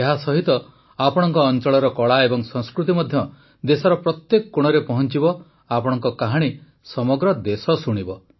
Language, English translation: Odia, Through this the art and culture of your area will also reach every nook and corner of the country, your stories will be heard by the whole country